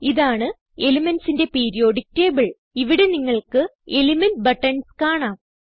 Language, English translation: Malayalam, This is a Periodic table of elements, here you can see element buttons